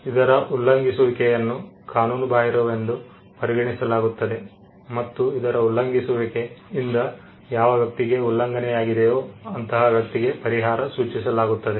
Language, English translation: Kannada, The violation of which is deemed as unlawful, and the violation of which leaves the person whose right is violated with a remedy